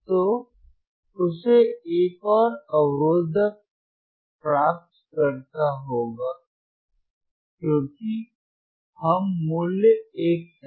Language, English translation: Hindi, So, he has to again get a another resistor another resistor because we want value which is 1